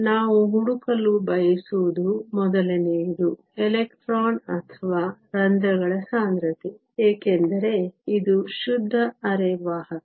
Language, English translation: Kannada, The first one we want to find is the concentration of electrons or holes, because this is a pure semiconductor